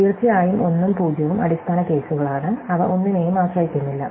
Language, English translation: Malayalam, And of course, 1 and 0 are the base cases and they do not depend on anything